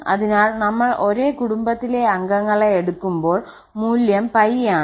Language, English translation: Malayalam, So, when we take the same member of the family then the value is pi